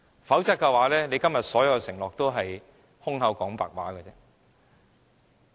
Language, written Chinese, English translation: Cantonese, 否則，政府今天所有的承諾也是空談。, Otherwise all the promises the Government has given today are mere empty talk